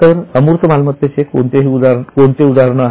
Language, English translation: Marathi, So, what are the examples of intangible assets